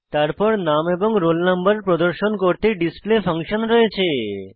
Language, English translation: Bengali, Then we have the display function to display the roll no and name